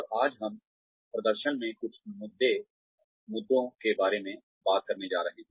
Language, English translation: Hindi, And today, we are going to talk about, some issues in performance